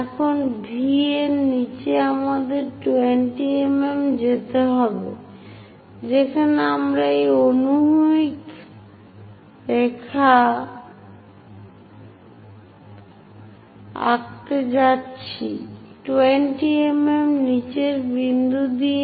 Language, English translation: Bengali, Now below V we have to go by 20 mm, where we are going to draw a horizontal line, the point 20 mm below